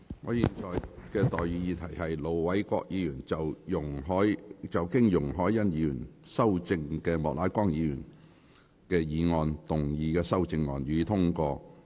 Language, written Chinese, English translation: Cantonese, 我現在向各位提出的待議議題是：盧偉國議員就經容海恩議員修正的莫乃光議員議案動議的修正案，予以通過。, I now propose the question to you and that is That Ir Dr LO Wai - kwoks amendment to Mr Charles Peter MOKs motion as amended by Ms YUNG Hoi - yan be passed